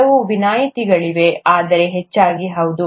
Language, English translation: Kannada, There are a few exceptions, but mostly yes